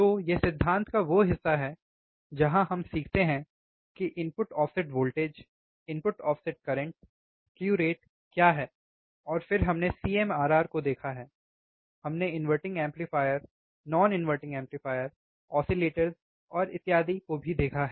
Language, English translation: Hindi, So, this is the theory part we learn what are the things input offset voltage input offset current slew rate, and then we have seen CMRR, we have also seen inverting amplifier non inverting amplifier oscillators and so on so forth